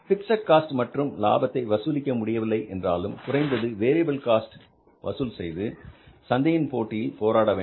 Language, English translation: Tamil, So if you are not able to recover the fixed cost and profits, at least try to recover the variable cost and stay in the market and fight the competition